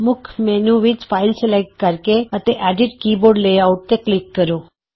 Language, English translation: Punjabi, From the Main menu, select File, and click Edit Keyboard Layout